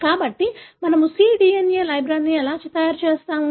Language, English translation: Telugu, So, that is how we make cDNA libraries